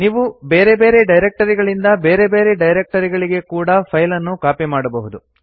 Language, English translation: Kannada, You can also copy files from and to different directories.For example